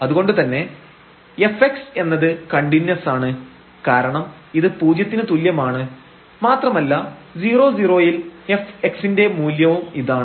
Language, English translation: Malayalam, So, here the f x is continuous because this is equal to 0 and this is the value of the f x at 0 0 point